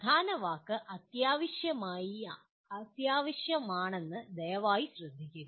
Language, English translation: Malayalam, Please note that the key word is essential